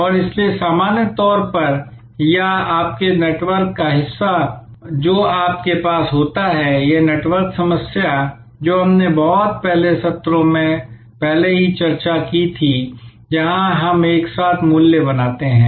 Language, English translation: Hindi, And therefore, suppliers normally or almost part of your network that we have, this network issue we had already discussed earlier in the some of the earlier sessions, where we create the value together